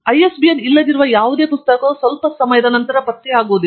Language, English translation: Kannada, Any book that does not have an ISBN, is essentially not traceable after sometime